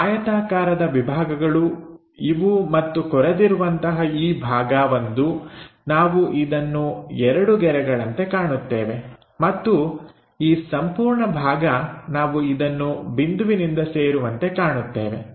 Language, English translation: Kannada, So, those rectangular blocks are that and this portion like a groove, we will see something like two lines and this entire part, we see it like connected by that point